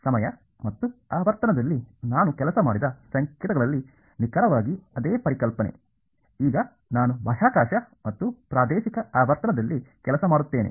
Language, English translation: Kannada, Exactly the same concept in signals I worked in time and frequency now I will work in space and spatial frequency